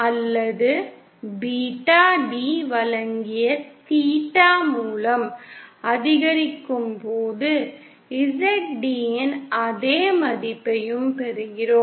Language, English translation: Tamil, Or when theeta given by beta d increases by pi we also get the same value of Zd